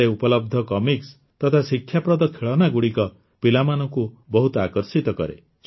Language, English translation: Odia, Whether it is comic books or educational toys present here, children are very fond of them